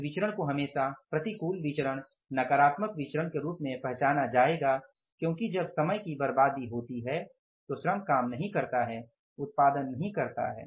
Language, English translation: Hindi, This variance will always be known as treated as or will be recognized as adverse variance, negative variance because when there is wastage of the time, idle time, labor could not work, labor could not produce